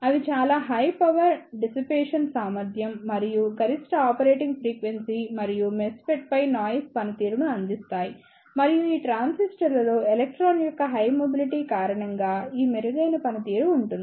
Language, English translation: Telugu, They provides very high power dissipation capability and maximum operating frequency and the noise performance over the MESFET and this better performance is due to the higher mobility of electron in these transistors